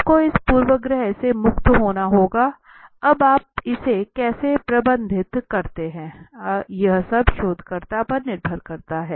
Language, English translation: Hindi, You have to be free from this bias now how do you manage it is all up to the researcher